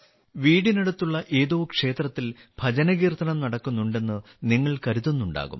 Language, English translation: Malayalam, You must be thinking that bhajan kirtan is being performed in some temple in the neighbourhood